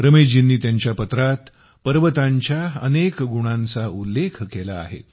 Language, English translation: Marathi, Ramesh ji has enumerated many specialities of the hills in his letter